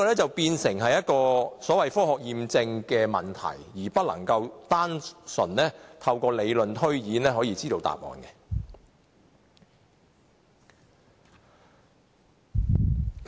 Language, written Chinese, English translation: Cantonese, 這便屬於科學驗證的問題，不能單純透過理論推演可得知答案。, This requires scientific validation rather than theoretical deduction to find out the answer